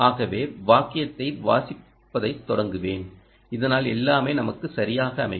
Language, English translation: Tamil, so i will start the sent reading the sentence so that everything falls in place to us quite well